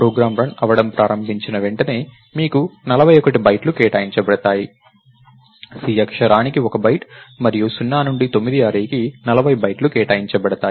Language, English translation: Telugu, As soon as the program starts running, you will have 41 bytes allocated, 1 byte for character c and another 40 bytes for array of 0 to array of 9